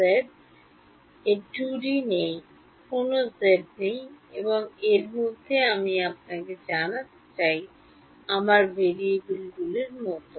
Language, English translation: Bengali, Not z its a 2 D there is no z and within this I have you know my variables are like this